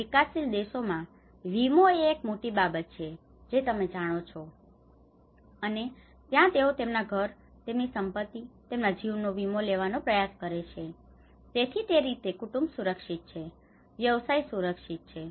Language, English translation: Gujarati, Here in a developing countries, insurance is one big thing you know that is where the whole they try to insure their home, their properties, their life so, in that way the family is protected, the business is protected